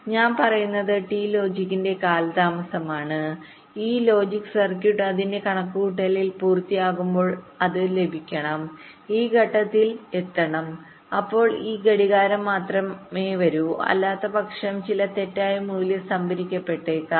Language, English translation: Malayalam, so what i am saying is that there is a delay of t logic and when this logic circuit has finish its calculation it must receive, reach this point and then only this clock should come, otherwise some wrong value might get stored